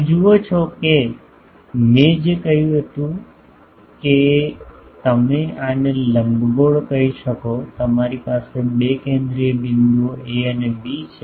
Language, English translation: Gujarati, You see that what I said is that you have for the let us say the ellipse you have two focal points A and B